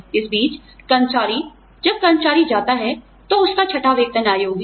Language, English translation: Hindi, In the meantime, the employee, when the employee goes, its sixth pay commission